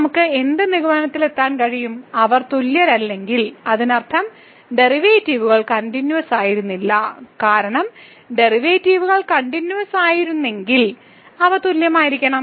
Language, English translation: Malayalam, So, what we can conclude from here, if they are not equal, if they are not equal; that means, the derivatives were not continuous because if the derivatives were continuous then they has to be equal